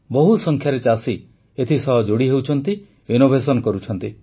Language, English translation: Odia, Farmers, in large numbers, of farmers are associating with it; innovating